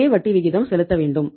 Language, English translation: Tamil, You have to pay the same rate of interest